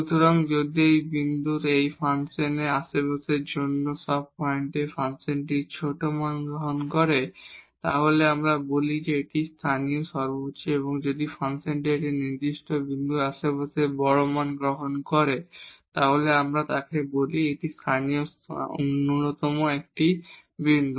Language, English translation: Bengali, So, if at all other points in the neighborhood of this function of this point the function is taking smaller values then we call that this is a local maximum and if the function is taking larger values in the neighborhood of a certain point then we call that this is a point of local minimum